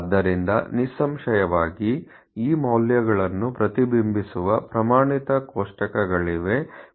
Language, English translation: Kannada, So, therefore obviously, there are standard tables, reflects these values